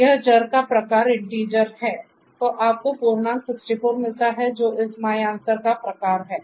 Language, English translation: Hindi, So, you get integer 64 which is the type of this my answer